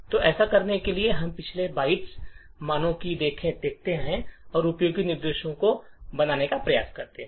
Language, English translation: Hindi, So, in order to do this, we look at the previous byte values and try to form useful instructions